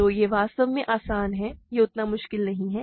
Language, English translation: Hindi, So, this is easy actually, this is not that difficult